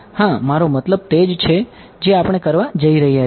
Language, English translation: Gujarati, Yeah I mean that is exactly what we are going to do